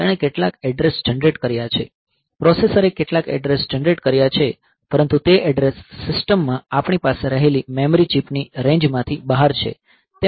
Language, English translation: Gujarati, So, it is it has generated some address the processor has generated some address, but that address is beyond the range of the memory chip that we have in the system